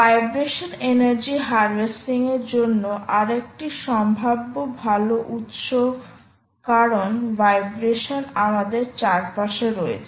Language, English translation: Bengali, vibration is another potentially good source for ah energy harvesting, because vibrations are all over us, all around us